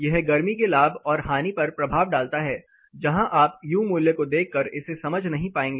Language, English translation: Hindi, It has an impact on heat gain and loss where you may not be able to understand it if you look at the U value